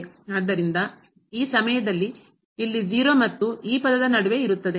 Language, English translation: Kannada, So, this time here lies between 0 and this term